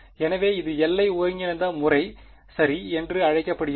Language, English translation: Tamil, So, this is would be called the boundary integral method ok